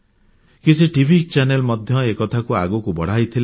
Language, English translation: Odia, Some TV channels also took this idea forward